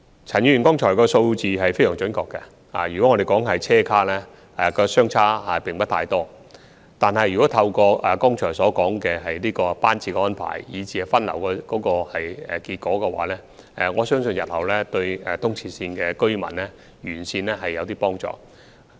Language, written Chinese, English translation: Cantonese, 陳議員剛才提及的數字是非常準確的，以車廂數目來說，兩者相差並不太多，但透過剛才提到的班次安排和分流效果，我相信日後對東鐵線沿線居民會有些幫助。, The figures mentioned by Mr CHAN earlier are very accurate . Regarding the number of train compartments there is not much difference between the two systems . But I believe that in future the residents along ERL will somewhat benefit from the train frequency arrangement and the diversion effect that I just mentioned